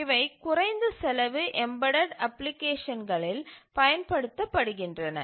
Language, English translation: Tamil, These are used extensively in embedded applications